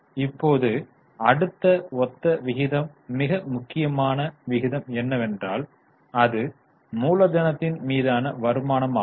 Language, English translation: Tamil, Now the next one, similar ratio but very important ratio is return on capital